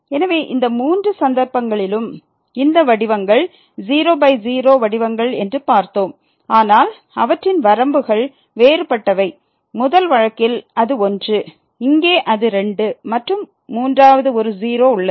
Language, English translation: Tamil, So, in these all three cases we have seen that these forms were by forms, but their limits are different; in the first case it is , here it is and the third one is